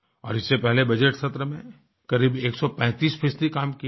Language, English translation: Hindi, And prior to that in the budget session, it had a productivity of 135%